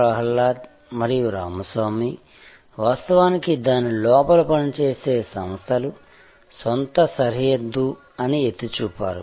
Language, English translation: Telugu, Prahalad and Ramaswamy, which pointed out that originally organizations operated within it is own sort of boundary